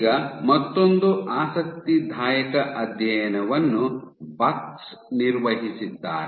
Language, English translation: Kannada, Now another interesting study was performed this study by Bux